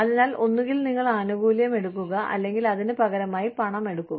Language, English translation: Malayalam, So, you say, either you take the benefit, or you take money, in exchange for it